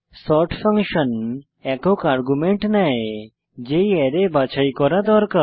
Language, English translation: Bengali, sort function takes a single argument , which is the Array that needs to be sorted